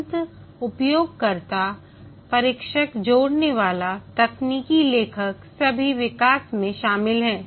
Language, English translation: Hindi, The end user, the tester, integrator, technical writer, all are involved in the development